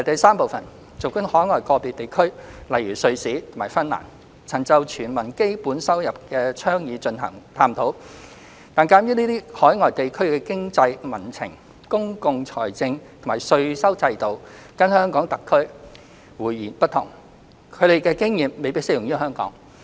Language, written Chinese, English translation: Cantonese, 三儘管海外個別地區曾就"全民基本收入"的倡議進行探討，但鑒於這些海外地區的經濟民情、公共財政或稅收制度跟香港特區迥然不同，他們的經驗未必適用於香港。, 3 While some overseas jurisdictions have had looked into the initiative of Universal Basic Income given the vast differences in the socio - economic public finance and tax systems between these places and the Hong Kong Special Administrative Region HKSAR the experience gained by these regions may not be applicable to Hong Kong